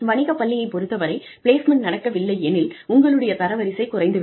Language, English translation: Tamil, For a business school, if placement does not happen, your rankings go down